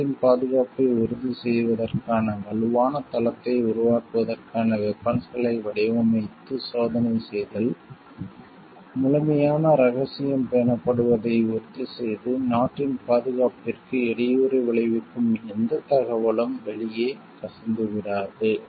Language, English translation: Tamil, Designing and testing weapons for building strong base for ensuring the security of the country, making sure that the complete secrecy is maintained and no information is leaked out, which could hamper the security of the country